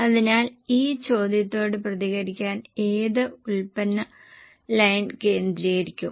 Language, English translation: Malayalam, So, to respond to this question, which product line will be focused